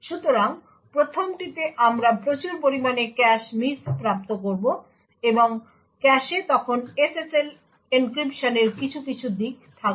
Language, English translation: Bengali, So, in the 1st one we will obtain a large number of cache misses and the cache would then contain some aspects of the SSL encryption